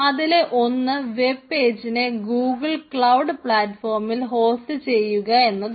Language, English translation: Malayalam, one is to host your web page in the google cloud platform